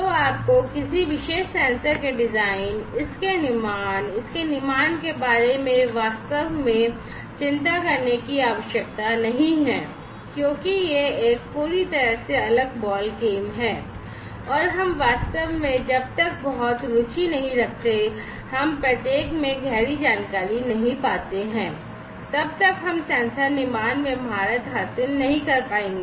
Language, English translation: Hindi, So, you do not need to really worry about the designing of a particular sensor, the manufacturing of it, the fabrication of it, because that is a completely different ballgame and we really unless we are very much interested, and we dig deep into each of these, we will not be able to master the sensor fabrication